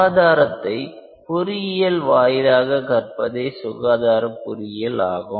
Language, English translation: Tamil, Health care engineering is an interface of healthcare with engineering